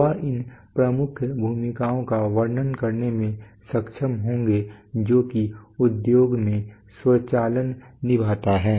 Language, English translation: Hindi, He will be able to describe the major roles that that that automation plays in the industry